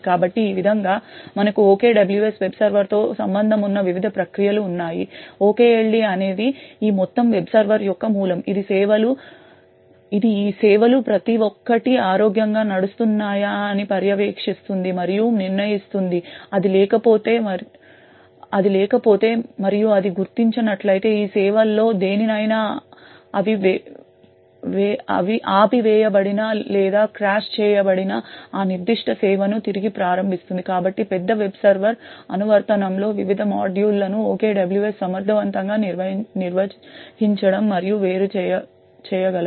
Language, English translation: Telugu, So in this way we have the various processes involved with the OKWS web server, the OKLD is kind of the root of this entire web server, it monitors and determines whether each of these services is running healthily, if it is not and if it detects that any of these services are stopped or has been crashed it then restarts that particular service, so this is how OKWS has efficiently been able to manage and isolate various modules within the large web server application